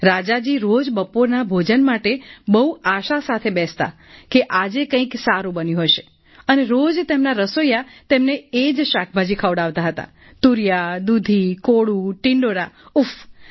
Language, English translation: Gujarati, Every day the king would sit for lunch with great hope that today something good must have been cooked and everyday his cook would serve the same insipid vegetablesridge gourd, bottle gourd, pumpkin, apple gourd